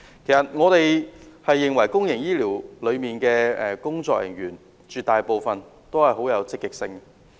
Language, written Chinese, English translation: Cantonese, 其實，我們認為公營醫療裏的工作人員絕大部分很積極。, In fact we trust that most of the health care personnel in the public health care system are hardworking